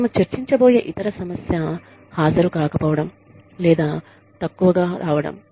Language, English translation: Telugu, The other issue, that we will discuss is, absence or poor attending